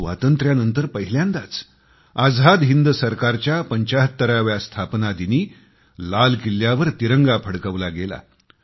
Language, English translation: Marathi, After Independence, for the first time ever, the tricolor was hoisted at Red Fort on the 75th anniversary of the formation of the Azad Hind Government